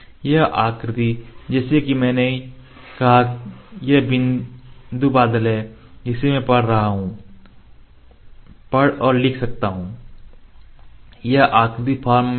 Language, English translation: Hindi, This shape like I said from this is point cloud I can read and write because this for the structured form